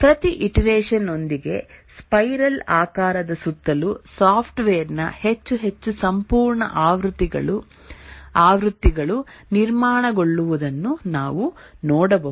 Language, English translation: Kannada, We can see that with each iteration around the spiral, more and more complete versions of the software get built